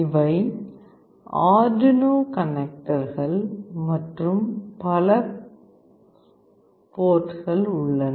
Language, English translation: Tamil, These are the Arduino connectors and there are many other ports